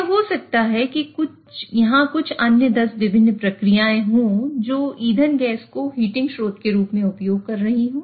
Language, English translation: Hindi, It may be that there are some other 10 different processes which are using this fuel gas as a heating source